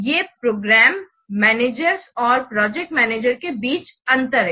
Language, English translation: Hindi, These are the differences between program managers and the project managers